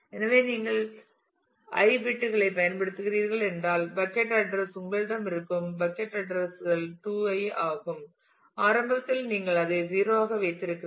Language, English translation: Tamil, And so, therefore, if you are using i bits then the bucket address table the possible you know bucket addresses that you could have is 2 to the power i initially you keep that as 0